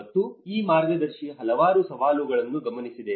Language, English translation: Kannada, And this guide have noted a number of challenges